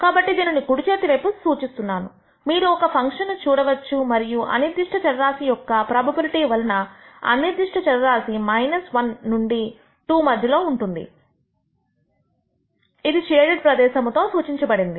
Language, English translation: Telugu, So, this is denoted on the right hand side, you can see a function and here we show how the random variable the probability that the random variable lies between minus 1 to town 2 is denoted by the shaded area